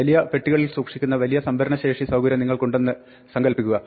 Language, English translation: Malayalam, Imagine that you have a large storage facility in which you store things in big cartons